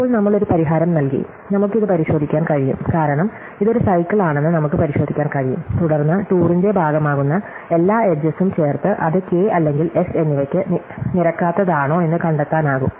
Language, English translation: Malayalam, Now, we have given a solution, we can check it, because we can check it is a cycle, and then we can add up all the edges which form part of the tour and find out, whether it adds up to K or less